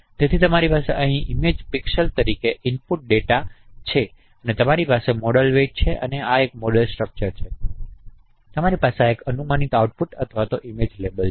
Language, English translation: Gujarati, So you have input data as image pixels here and you have the model weights and this is a model structure and you have to this is a predicted output or image level